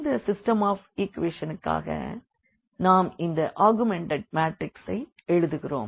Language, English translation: Tamil, So, here for this system of equations we have written here this augmented matrix